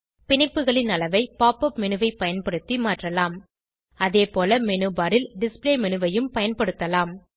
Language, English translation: Tamil, The size of the bonds can be changed using Pop up menu, as well as Display menu on the menu bar